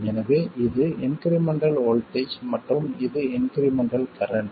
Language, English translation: Tamil, So, this is the incremental voltage and this is the incremental current